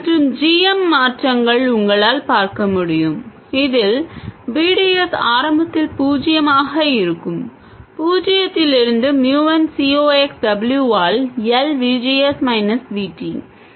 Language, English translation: Tamil, And GM changes from you can see this VDS will be zero initially, 0 to MN C Ox W by L VGS minus VT